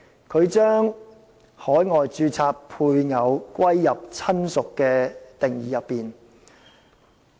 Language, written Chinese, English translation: Cantonese, 他把在海外註冊的配偶納入"親屬"的定義。, He proposed that the spouse in a relationship registered overseas be included in the definition of relative